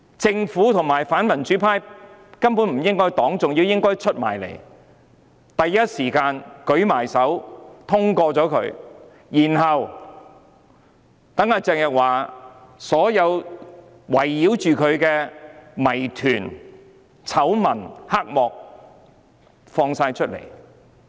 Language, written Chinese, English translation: Cantonese, 政府和反民主派根本不應該反對，反而應該站出來，支持通過這項議案，讓圍繞鄭若驊的所有謎團、醜聞、黑幕都被揭露出來。, The Government and the anti - democracy camp should not oppose the motion at all . Instead they should be the first one to support the passage of the motion so that all the mysteries scandals and under - table dealings surrounding Teresa CHENG could be exposed